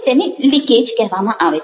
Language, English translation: Gujarati, these are known as leakages